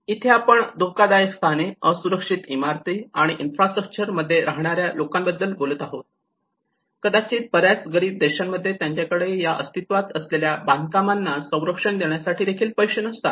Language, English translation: Marathi, Where we talk about the dangerous locations people live in the physical dangerous locations, unprotected buildings and infrastructure, maybe many of in poorer countries, they do not have even money to safeguard those existing structures